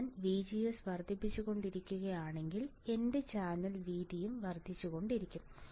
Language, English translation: Malayalam, If I keep on increasing VGS my channel width will also keep on increasing right